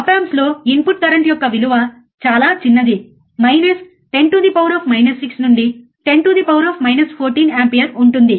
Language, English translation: Telugu, Op amps the input currents are very small of order of 10 is to minus 6 to 10 is to minus 14 ampere